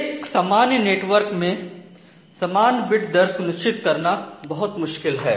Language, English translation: Hindi, So, in a typical network having perfect guarantee of a constant bit rate is very difficult